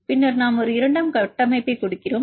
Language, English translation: Tamil, So, we look at the secondary structures